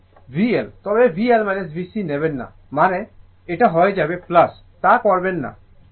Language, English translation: Bengali, Here it is V L, but do not take V L minus V C means; it will become plus do not do that